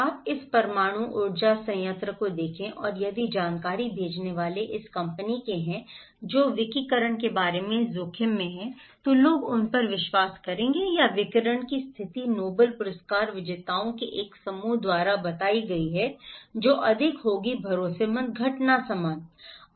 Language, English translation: Hindi, Now, look into this nuclear power plant and if the source senders of information is this company who are at risk about the radiation, then people would believe them or what is the status of radiation is reported by a group of Nobel laureates who would be more trustworthy the event is same